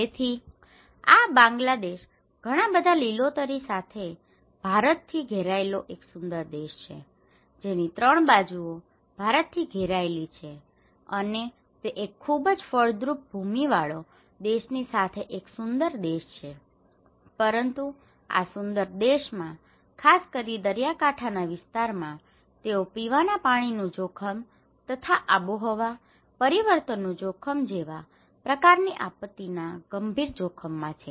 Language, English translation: Gujarati, So, this is Bangladesh, a beautiful country with a lot of greens surrounded by India, most of the part, three sides are surrounded by India with one of the most fertile land and also is this is a beautiful country and but this beautiful country particularly, in the coastal areas, they are under serious threat of drinking water risk and climate change induced risk kind of disaster